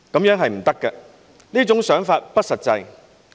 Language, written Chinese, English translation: Cantonese, 這是不行的，這種想法不實際。, That simply wouldnt work . Its not a realistic idea